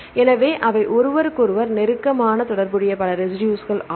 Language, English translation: Tamil, So, there are many residues they are closely related to each other